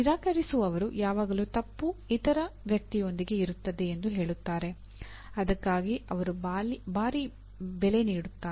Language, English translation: Kannada, Those who refuse, say always the fault lies with the other person, they will pay a heavy price for that, okay